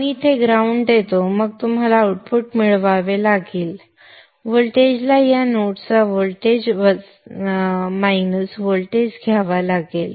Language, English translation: Marathi, You give the ground here then you will have to get the output voltage you will have to take voltage of this minus the voltage of this node